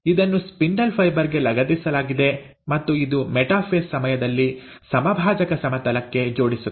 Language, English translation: Kannada, It is attaching to the spindle fibre and it aligns to the equatorial plane during the metaphase